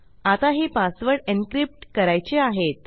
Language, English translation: Marathi, Now I want to encrypt these passwords